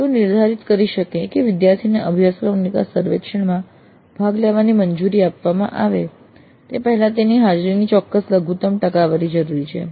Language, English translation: Gujarati, They could stipulate that certain minimum percentage of attendance is necessary before the student is allowed to participate in the course it's survey